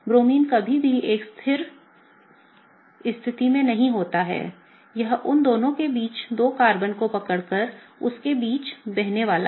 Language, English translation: Hindi, The Bromine is never at one static position; it’s gonna be kind of swaying in between the two carbons holding on to the both of them